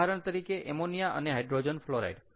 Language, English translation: Gujarati, so let us take one example over here: ammonia and hydrogen fluoride